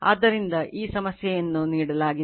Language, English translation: Kannada, So, this is the problem is given